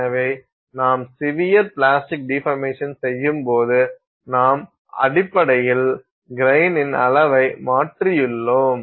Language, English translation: Tamil, So, when we do severe plastic deformation, we have basically changed grain size